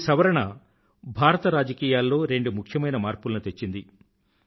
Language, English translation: Telugu, This change brought about two important changes in India's politics